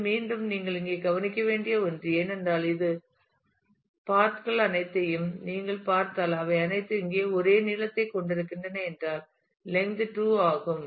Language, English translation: Tamil, This is again something you should observe here, because if you if you see all of these paths all of them have the same length here then the length is 2